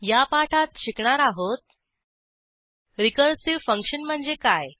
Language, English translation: Marathi, In this tutorial, we will learn What is a Recursive function